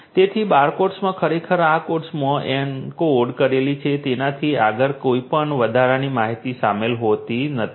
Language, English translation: Gujarati, So, barcodes cannot contain any added information beyond what is actually encoded in these codes